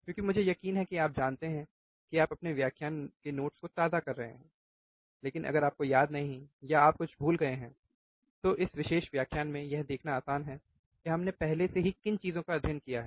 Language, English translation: Hindi, Because that I am sure that you know you are refreshing your lecture notes, but if you do not remember, or you have forgot something, it is easy to see in this particular lecture what things we have already studied